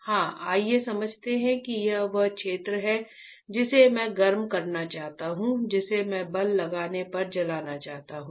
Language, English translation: Hindi, Yeah let us understand that this is the area which I want to heat which I want to burn when I apply force